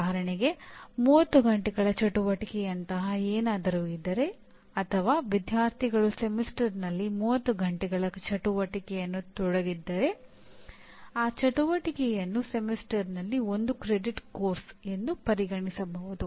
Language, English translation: Kannada, For example one can consider any activity as a course of 1 credit over a semester if there are something like 30 hours of activity are involved or students are involved in 30 hours of activity over a semester, I can consider equivalent to 1 credit course